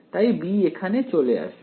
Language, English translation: Bengali, So, the b will come in over here